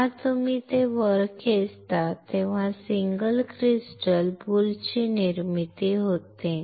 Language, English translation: Marathi, When you pull it up, a formation of the single crystal boule happens